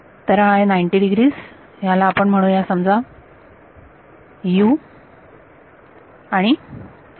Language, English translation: Marathi, So, this is a 90 degrees let us call this let us say u and v